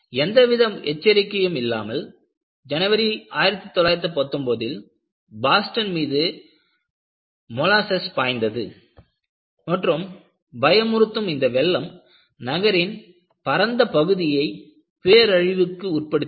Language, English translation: Tamil, Without warning, in January 1919, molasses surged over Boston and a frightful flood devastated a vast area of the city